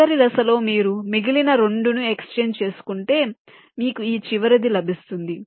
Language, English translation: Telugu, then in the last step, you exchange the remaining two